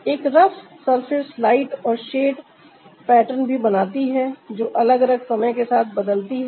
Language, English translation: Hindi, a rough surface also creates the lighten shade pattern that changes with different time